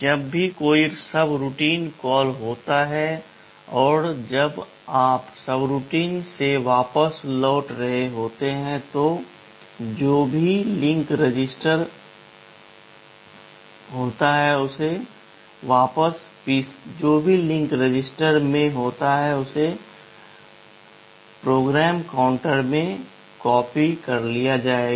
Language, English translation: Hindi, Whenever there is a subroutine call and when you are returning back from the subroutine, whatever is then the link register is copied back into PC